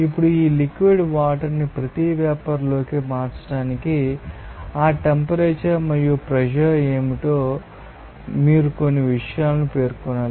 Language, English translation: Telugu, Now, what I told that to convert this liquid water into each vapour so, you have to you know specify certain things that what is that temperature and pressure